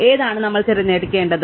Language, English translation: Malayalam, So, which one we should choose